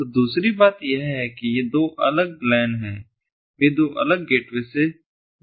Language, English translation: Hindi, so the other thing is that these two different lans, they can connect via two different gateways